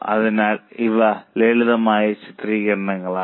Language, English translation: Malayalam, So, these were the simple illustrations